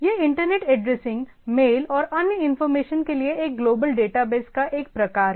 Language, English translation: Hindi, It is a sort of a global data base for internet addressing, mail and other information